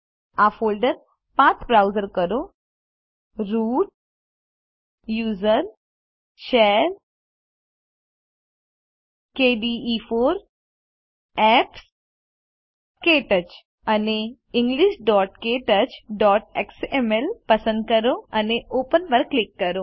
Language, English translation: Gujarati, Browse the flowing folder path Root usr share kde4 apps Ktouch And select english.ktouch.xml and click Open